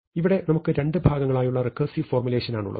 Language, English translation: Malayalam, So, now we have a recursive formulation in two parts